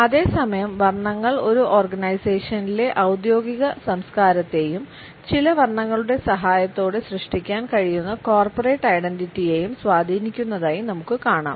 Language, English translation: Malayalam, At the same time we find that colors impact the work culture in an organization as well as the corporate identity which can be created with the help of certain colors